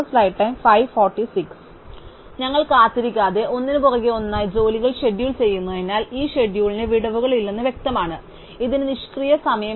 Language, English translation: Malayalam, So, since we are scheduling jobs one after the other without waiting, it is very clear that this schedule has no gaps, it has no idle time